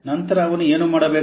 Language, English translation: Kannada, Then what he should do